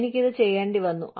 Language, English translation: Malayalam, I had to do this